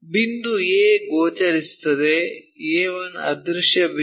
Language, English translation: Kannada, Point A is visible A 1 is invisible point